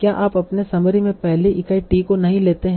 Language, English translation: Hindi, You take the t is the first unit in your summary